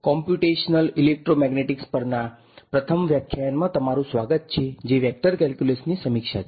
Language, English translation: Gujarati, And welcome to the first lecture on Computational Electromagnetics which is the review of Vector Calculus